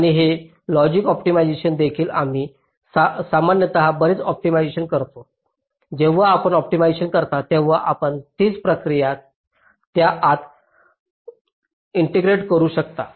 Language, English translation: Marathi, we usually do a lot of optimization, so when you do optimization, can you integrate the same process within that